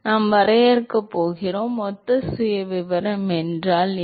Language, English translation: Tamil, We are going to define, what is mean by similar profile